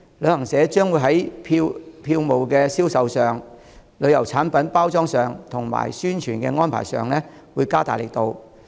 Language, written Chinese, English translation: Cantonese, 旅行社將會在票務銷售、旅遊產品包裝及宣傳的安排上加大力度。, Travel agencies will enhance efforts in ticketing packaging of tourism products and promotion arrangements